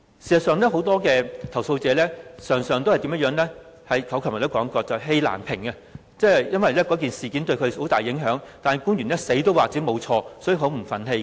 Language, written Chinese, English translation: Cantonese, 事實上，我昨天也說過，很多投訴者常常氣難平，因為事件對他們有很大影響，但官員堅持自己沒有犯錯，所以他們很不忿氣。, In fact as I mentioned yesterday many complainants felt displeased because the incidents affected them significantly yet officials insisted they did nothing wrong . The people were indignant as a result